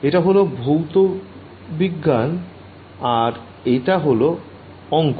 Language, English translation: Bengali, So, this is physics this is math ok